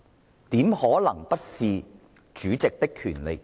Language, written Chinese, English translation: Cantonese, 這怎可能不是主席的權責？, How can this not be the powers and responsibilities of the President?